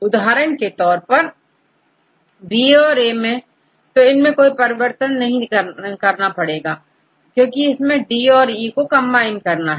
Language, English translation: Hindi, For example, if you see, B and A, we do not make any changes, because we need to combine D and E